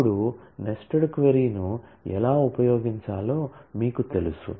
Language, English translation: Telugu, Now, you know how to use a nested query